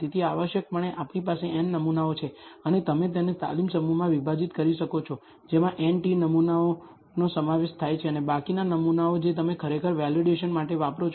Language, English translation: Gujarati, So, essentially we have n samples and you can divide it to a training set con consisting of n t samples and the remaining samples you actually use for validation